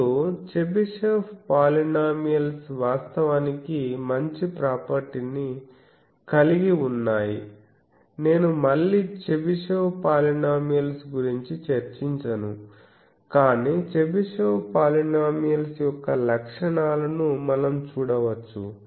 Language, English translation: Telugu, Now, Chebyshev polynomials have a very nice property actually, I am not again discussing Chebyshev polynomial, but we can see the properties of Chebyshev polynomial